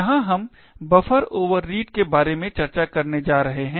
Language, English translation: Hindi, Here we are going to discuss about buffer overreads